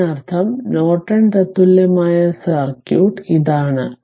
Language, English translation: Malayalam, So, that means, this is that Norton equivalent circuit right